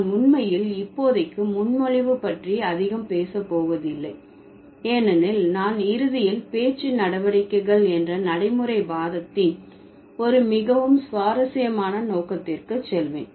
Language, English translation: Tamil, So, I'm not really going to talk much about presupposition for the moment because I would eventually move to a very interesting, the next very interesting scope of pragmatics that is speech acts